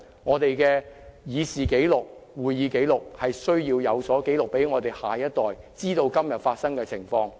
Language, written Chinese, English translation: Cantonese, 我們必須把這一切記錄在會議過程正式紀錄中，讓下一代知道今天發生的情況。, All this must be recorded in the Official Record of Proceedings so that the next generation will know what has happened today